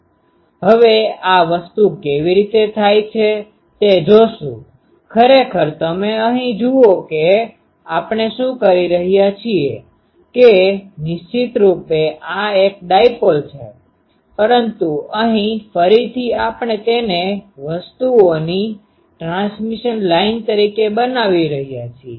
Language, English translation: Gujarati, Now, will see how the thing happens; actually here you see what we are doing that definitely this is a dipole, but here again we are making it as a transmission line of things